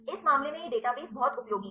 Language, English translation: Hindi, In this case this database is a very useful